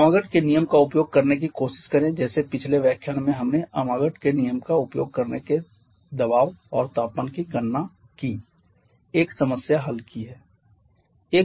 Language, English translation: Hindi, Just try to using the amagat's law like in the previous lecture we have solved 1 problem of calculating the pressure and temperature